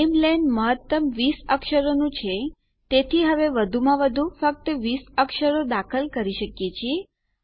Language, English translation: Gujarati, The namelen is maximum 20 characters so here we can only enter a maximum of 20 characters